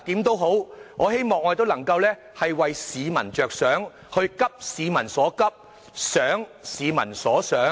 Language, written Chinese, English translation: Cantonese, 但無論如何，我希望我們能夠為市民着想，急市民所急，想市民所想。, But in any case I hope that we all think what people think and address peoples pressing needs